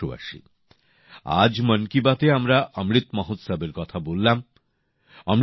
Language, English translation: Bengali, today in 'Mann Ki Baat' we talked about Amrit Mahotsav